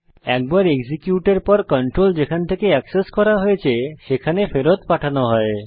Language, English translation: Bengali, Once executed, the control will be returned back from where it was accessed